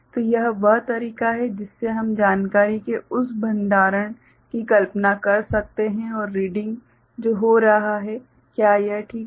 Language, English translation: Hindi, So, this is the way we can visualize that storage of information and the reading that is taking place, is it fine